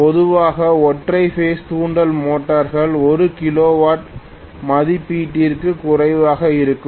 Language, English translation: Tamil, Normally most of the single phase induction motors will be less than 1 kilowatt rating